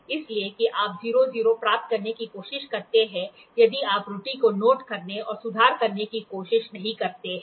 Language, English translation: Hindi, So, that you try to get the 0 0, if not you try to note down the error and do the correction